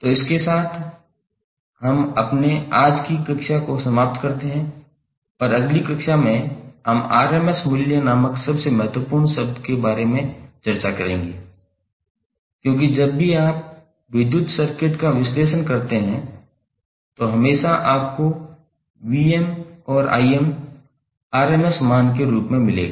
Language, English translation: Hindi, So this we finish our today's class and next class we will discuss about the one of the most important term called RMS values because whenever you analyze the electrical circuit, you will always get the Vm and Im as represented in terms of RMS value